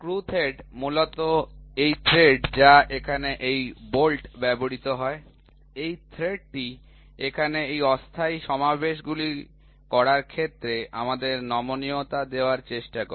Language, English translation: Bengali, Screw thread so, basically this thread which is used here in this bolt, this thread here, which is there this tries to give me a flexibility in making temporary assemblies